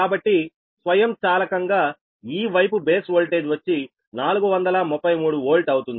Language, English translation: Telugu, so automatically this side will be base voltage will be four thirty three volt